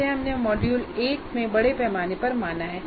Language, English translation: Hindi, This we have we have looked extensively in module 1